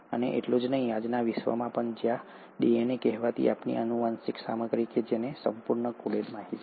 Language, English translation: Gujarati, And not just that, even in today’s world, where DNA, the so called our genetic material which has the entire coded information